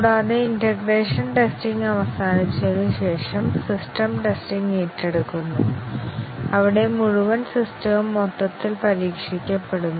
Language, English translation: Malayalam, And, after the integration testing is over, the system testing is taken up, where the full system is tested as a whole